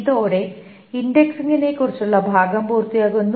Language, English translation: Malayalam, That completes part about indexing